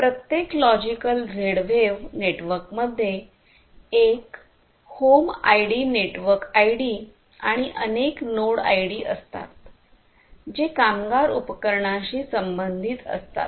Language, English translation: Marathi, Each logical Z wave network has one home ID, the network ID, and multiple unique node IDs corresponding to the slave devices in the network